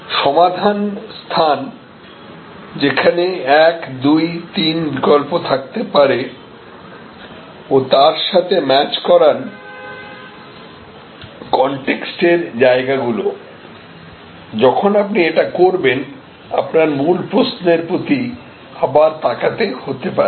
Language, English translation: Bengali, So, solution space, where there can be 1, 2, 3 alternatives and match that with the context space, when you do this, you may have to revisit your original question